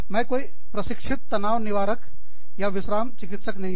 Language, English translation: Hindi, Again, i am no trained stress reliever, or relaxation therapist